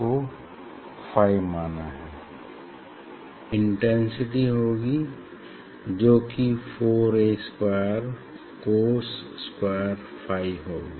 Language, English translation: Hindi, square of this amplitude is the intensity, so that is 4 A square cos square phi